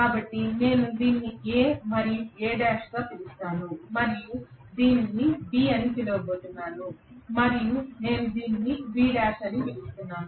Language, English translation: Telugu, So let me call this as A and A dash and I am going to call this as B and I am going to call this as B dash